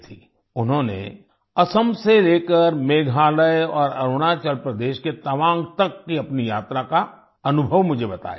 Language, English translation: Hindi, She narrated me the experience of her journey from Assam to Meghalaya and Tawang in Arunachal Pradesh